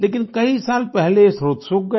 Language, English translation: Hindi, But many years ago, the source dried up